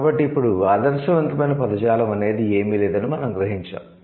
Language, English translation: Telugu, So, now we realize the, there is nothing called an ideal vocabulary